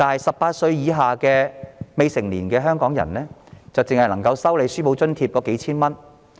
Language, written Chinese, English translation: Cantonese, 十八歲以下的未成年香港人只能收取數千元書簿津貼。, Hong Kong minors under the age of 18 can only receive textbook assistance of a few thousand dollars